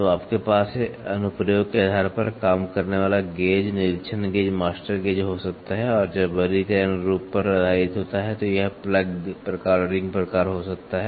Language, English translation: Hindi, So, you can have working gauge, inspection gauge, master gauge based on the application and when the classification is based on the form, it can be plug type and ring type